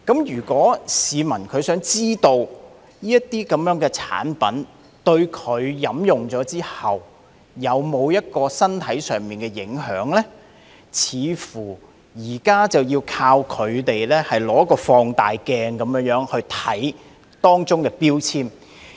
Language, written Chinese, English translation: Cantonese, 如果市民想知道飲用這些產品後對身體有否影響，現時似乎要靠放大鏡來看看當中的標籤。, If the public want to know the impact of consuming these products on their health it seems that at present they can only rely on a magnifying glass for checking the food labels